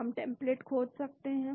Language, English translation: Hindi, We can search for template